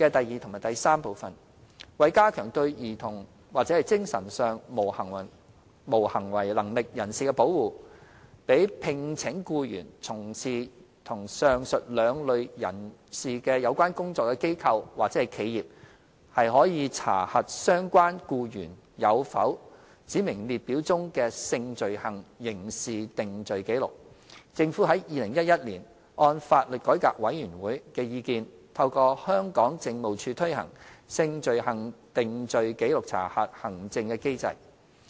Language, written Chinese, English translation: Cantonese, 二及三為加強對兒童或精神上無行為能力人士的保護，讓聘請僱員從事與上述兩類人士有關工作的機構或企業可查核相關僱員有否指明列表中的性罪行刑事定罪紀錄，政府於2011年按法律改革委員會的意見，透過香港警務處推行"性罪行定罪紀錄查核"行政機制。, 2 and 3 To better protect children and mentally incapacitated persons MIPs by allowing organizations or enterprises engaging persons to undertake work relating to the above two kinds of persons to check whether their prospective employees have any criminal convictions records against a specified list of sexual offences the Government implemented in 2011 the Sexual Conviction Record Check SCRC Scheme through the Police in accordance with the advice of the Law Reform Commission LRC